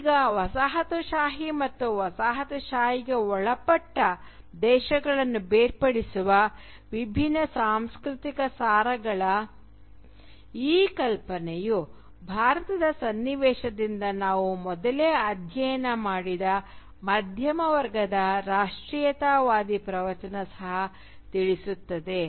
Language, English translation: Kannada, Now this notion of distinct cultural essences separating the coloniser and the colonised also informs the kind of middle class nationalist discourse that we have studied earlier from within the context of India